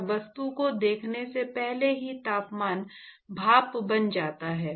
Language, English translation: Hindi, And even before it sees the object the temperature steam